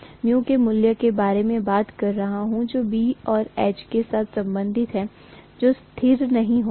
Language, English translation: Hindi, The mu value whatever I am talking about which is relating B and H together, that will not be a constant